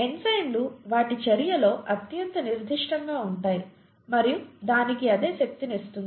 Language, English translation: Telugu, Enzymes can be highly specific in their action, and that’s what gives it its power